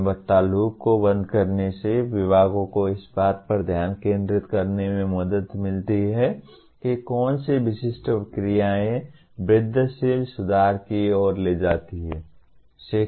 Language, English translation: Hindi, Closing the quality loop enables the departments to focus on what specific actions lead to incremental improvements